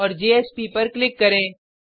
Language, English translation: Hindi, and click on JSP